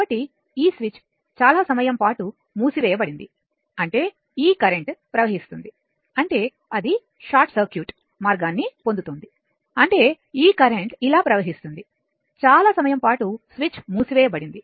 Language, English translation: Telugu, So, this switch was closed for a long time right; that means, this this current will flow I mean it is getting a what you call a short circuit path; that means, this current will flow like this, for a long time the switch was closed right